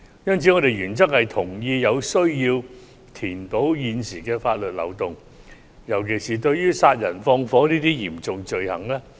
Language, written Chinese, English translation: Cantonese, 因此，我們原則上同意有需要填補現時的法律漏洞，尤其是殺人放火等嚴重罪行。, Therefore we agree in principle on the need to plug the existing legal loopholes particularly serious crimes such as murder and arson